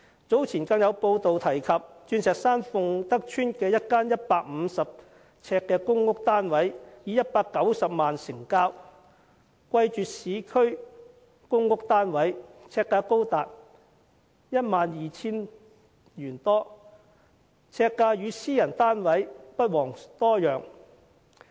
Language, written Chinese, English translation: Cantonese, 早前更有報道指出，鑽石山鳳德邨一個150呎的公屋單位以190萬元成交，貴絕市區的公屋單位，呎價高達 12,000 多元，與私人單位不遑多讓。, It was reported earlier that a PRH unit of 150 sq ft in Fung Tak Estate Diamond Hill was sold at 1.9 million which reached a record high at some 12,000 per square foot comparable to of private housing units